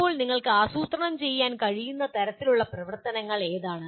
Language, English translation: Malayalam, Now what are the type of activities that you can plan